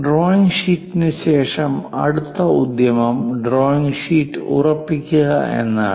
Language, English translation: Malayalam, After the drawing sheet, the next one is to hold that is drawing sheet